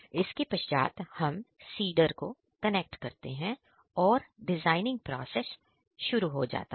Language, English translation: Hindi, After that we connect the seeder and start the designing process